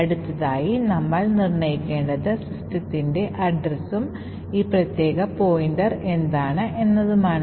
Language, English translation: Malayalam, So, the next thing that we need to do determine is the address of system and what exactly is this particular pointer